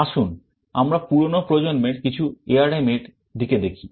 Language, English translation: Bengali, Let us look at some of the older generations of ARM